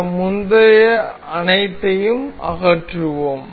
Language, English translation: Tamil, Let us remove all these earlier ones